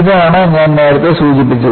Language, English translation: Malayalam, This is what I had mentioned earlier